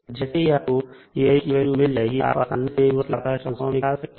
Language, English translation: Hindi, Now, once the value of k i are known, we can easily find out the inverse Laplace transform for F s